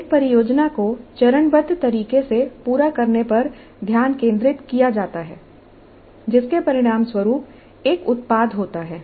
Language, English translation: Hindi, The focus is completion of a project in a phase manner resulting in a product